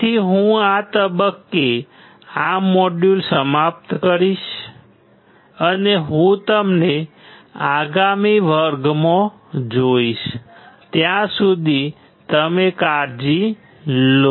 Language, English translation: Gujarati, So, I will finish this module at this point, and I will see you in the next class till then you take care